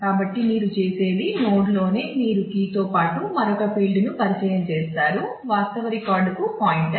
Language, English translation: Telugu, So, what you do is in the node itself you introduce another field after along with the key which is the; pointer to the actual record